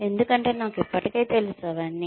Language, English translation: Telugu, Because, I already know, all that